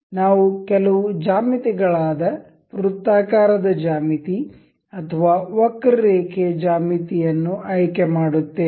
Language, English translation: Kannada, We will select some geometrical circular geometry or geometry with curved